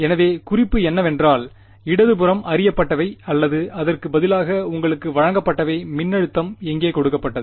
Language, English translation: Tamil, So, the hint is the left hand side, what is known or rather what is given to you in the problem where is the voltage given